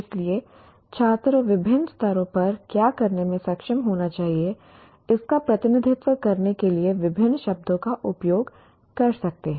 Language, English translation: Hindi, So one can use different words to use, to represent what these students should be able to do at different levels